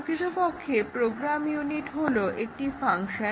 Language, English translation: Bengali, A program unit is typically a function